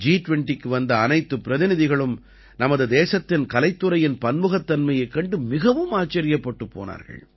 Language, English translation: Tamil, Every representative who came to the G20 was amazed to see the artistic diversity of our country